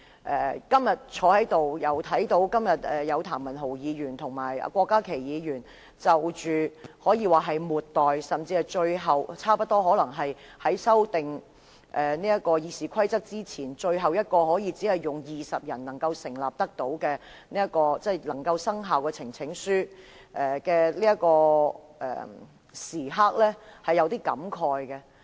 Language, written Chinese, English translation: Cantonese, 我今天坐在這裏，看到譚文豪議員和郭家麒議員提交可以說是末代，甚至可能是修改《議事規則》前最後一次只需20名議員支持便可生效的呈請書時，是有點感慨的。, Sitting here today watching Mr Jeremy TAM and Dr KWOK Ka - ki present a petition which may be the final or even the last one requiring only the support of 20 Members before RoP is amended I felt a bit distressed